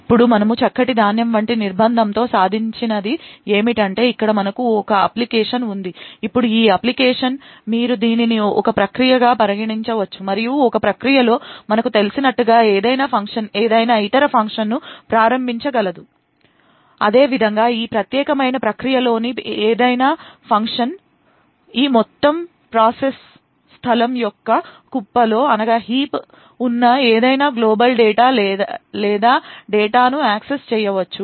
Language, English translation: Telugu, Now what we achieve with Fine grained confinement is that we have an application over here, now this application you could consider this as a process and as we know within a process any function can invoke any other function, Similarly any function within this particular process can access any global data or data present in the heap of this entire process space